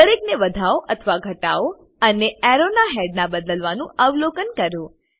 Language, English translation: Gujarati, Increase or decrease each one and observe the changes in the arrow heads